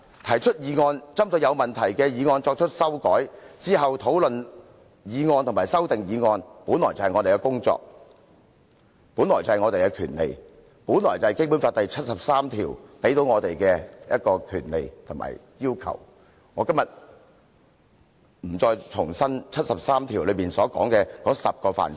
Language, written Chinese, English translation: Cantonese, 提出議案、針對有問題的議案作出修訂，然後討論議案和修訂議案，這些本來便是我們的工作和權利，是《基本法》第七十三條賦予我們的權利和對我們的要求，我今天不打算重複《基本法》第七十三條訂明的10個範疇。, Proposing motions making amendments to problematic motions and subsequently holding discussions on the motions and the proposed amendments are inherently our duties and rights . They are the rights conferred on us and duties expected of us under Article 73 of the Basic Law and I am not going to repeat the 10 aspects specified in Article 73 of the Basic Law